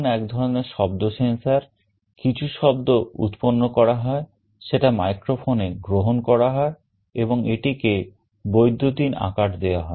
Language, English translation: Bengali, Microphone is a kind of a sound sensor, some sound is being generated that is captured by the microphone and it is converted to electronic format